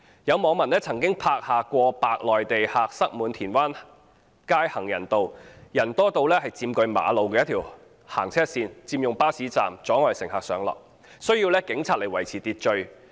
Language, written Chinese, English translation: Cantonese, 有網民曾經拍下過百名內地旅客塞滿田灣街行人路，人多到佔據馬路一條行車線，佔用巴士站，阻礙乘客上落，需要警員到場維持秩序。, A netizen once filmed the scene of over 100 Mainland visitors packing the pedestrian passage of Tin Wan Street . There were so many people that a carriageway of the road was occupied obstructing passengers boarding and alighting buses at a bus stop . Police officers were called to maintain order on the site